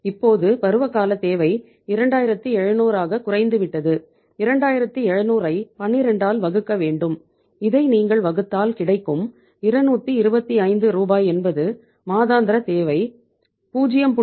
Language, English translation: Tamil, Now the seasonal requirement has come down to 2700 and 2700 if you divide by how much 2700 to be divided by 12 so this works out as how much that is rupees 225 is the monthly requirement multiplied by 0